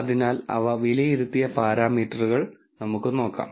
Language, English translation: Malayalam, So, let us look at the parameters they have been evaluated on